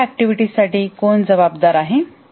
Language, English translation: Marathi, Who is responsible for a function